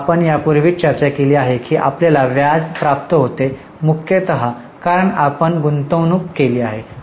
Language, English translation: Marathi, We have already discussed this, that you receive interest mainly because you have made investment